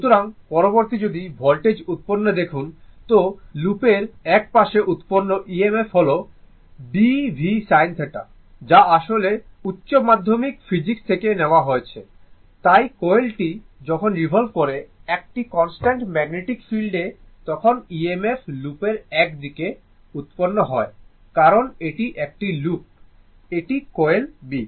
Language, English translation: Bengali, So, next is, so if you look at the voltage generated, so EMF generated at one side of the loop is B l v sin theta, that actually from your physics higher secondary physics, so when the coil is revolving in a constant magnetic field is EMF generated one side of the loop it is because it is a loop, it is a coil a B it is coil so, it is a loop